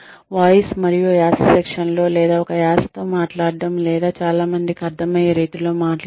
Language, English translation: Telugu, In, voice and accent training, or, speaking with an accent or in a manner that one can be understood, by most people